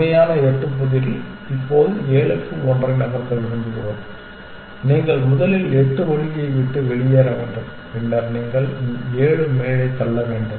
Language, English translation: Tamil, We want to move seven to one now in the real eight puzzle you have to first move eight out of the way, then you have to push seven up